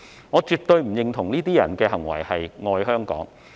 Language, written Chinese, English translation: Cantonese, 我絕不認同這些人的行為是"愛香港"。, I absolutely do not admit these peoples behaviour as loving Hong Kong